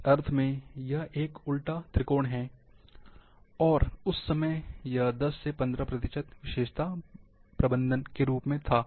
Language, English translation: Hindi, This is an inverted triangle, in that sense, and that time 10 or fifteen percent, was attribute tagging